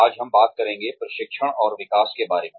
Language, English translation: Hindi, Today, we will talk, more about, Training and Development